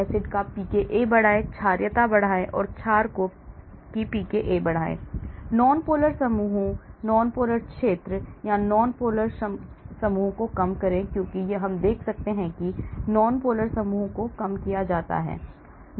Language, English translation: Hindi, increase pKa of acid, increase basicity, increase pKa of the base, reduce nonpolar groups, nonpolar area or nonpolar groups as we can see that is called reduce nonpolar groups